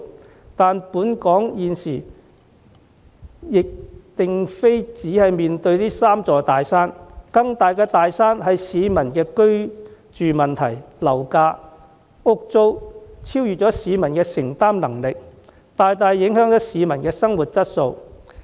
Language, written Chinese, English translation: Cantonese, 然而，香港現時並不只有這三座"大山"，更大的"大山"是市民的居住問題，樓價、房屋租金超越市民的承擔能力，大大影響市民的生活質素。, Yet the big mountains confounding Hong Kong these days are not limited to the three just mentioned . The housing problem of the people―where property prices and housing rentals outrun the publics affordability―is an even bigger mountain which seriously affects the quality of living of the people